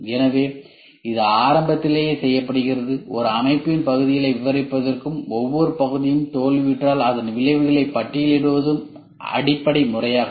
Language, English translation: Tamil, So, that is done at the beginning itself, the basic method is to describe the parts of a system and list the consequences if each part fails